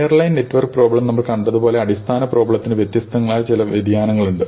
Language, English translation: Malayalam, Now, as we saw with the airline network problem, the basic problem has many different variations which are possible